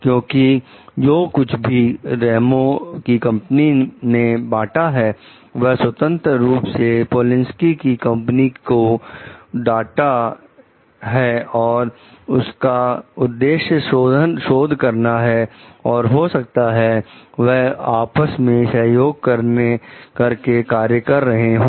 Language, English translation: Hindi, Because whatever Ramos s company have shared, freely shared the data with the Polinski s company was for the purpose of the research that, maybe they were collaborating for